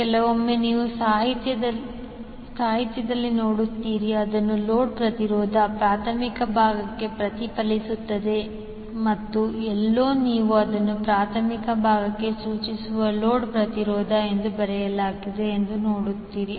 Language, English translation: Kannada, So, sometimes you will see in the literature it is written as the load impedance reflected to primary side and somewhere you will see that it is written as load impedance referred to the primary side